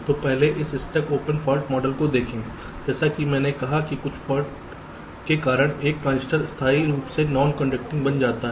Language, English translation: Hindi, so look at this stuck open fault model first here, as i said, a transistor becomes permanently non conducting because of some fault